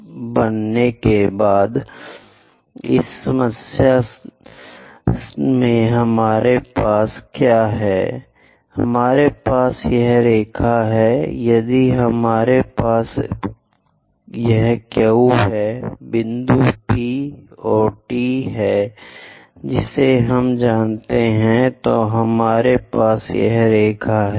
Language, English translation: Hindi, But in this problem what we have is; we have this line, we have this line if I am keeping this one Q, point P and T we know